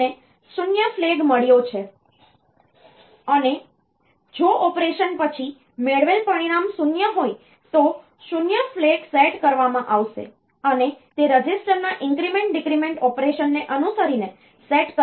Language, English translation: Gujarati, We have got 0 flag if the result obtained after an operation is 0, then the 0 flag will be set is set following the increment decrement operation of that register